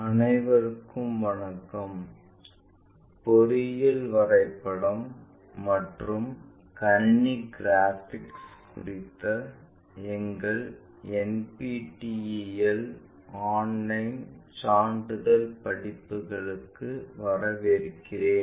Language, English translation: Tamil, Hello everyone, welcome to our NPTEL online certification courses on Engineering Drawing and Computer Graphics